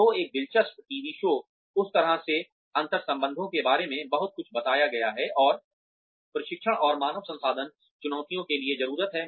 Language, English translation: Hindi, So, an interesting TV show, that sort of sums up, a lot of intercultural infusions, and needs for training and human resources challenges is